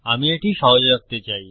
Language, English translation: Bengali, I want to keep it simple